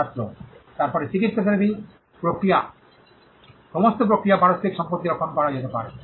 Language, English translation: Bengali, Student: Then the medical therapy is all process of procedures can be protected to mutual properties